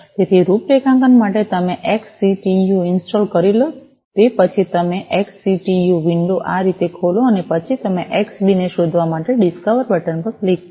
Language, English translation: Gujarati, So, for configuration, you know after you have installed XCTU you open the XCTU window like this and then you click on the discover button to discover the Xbee